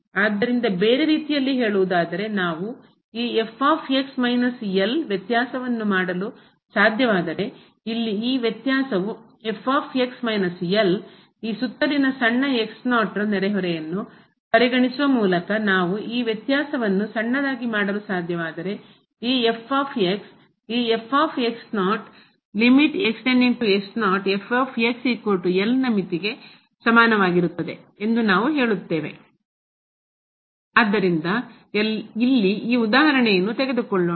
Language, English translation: Kannada, So, in other words, if we can make the difference this minus , this difference here minus ; if we can make this difference as a small, as we like by considering a small neighborhood around this naught, then we say that this is equal to the limit of this ; is goes to naught is